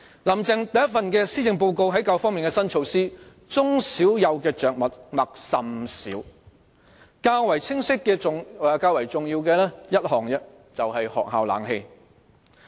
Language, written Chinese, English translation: Cantonese, "林鄭"第一份施政報告在教育方面的新措施對中小幼的着墨甚少，較為清晰和重要的只有一項，就是學校的空調設備。, In the maiden Policy Address of Carrie LAM the new initiatives relating to education scarcely made reference to kindergarten primary and secondary education with only one proposal that is stated more clearly and given some importance namely provision of air - conditioning facilities in schools